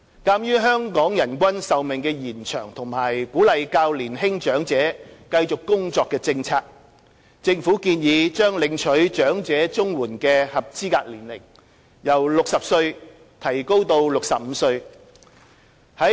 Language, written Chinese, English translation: Cantonese, 鑒於香港人均壽命延長及鼓勵較年輕長者繼續工作的政策，政府建議把領取長者綜援的合資格年齡由60歲提高至65歲。, In view of the improved life expectancy of the population and a policy of encouraging the young - olds to join the workforce the Government recommended raising the eligibility age for elderly CSSA from 60 to 65